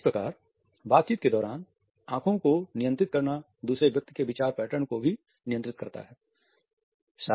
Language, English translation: Hindi, So, controlling eyes during the dialogue also controls the thought patterns of the other person